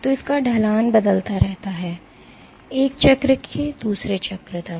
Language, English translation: Hindi, So, the slope of this keeps changing, from one cycle to the other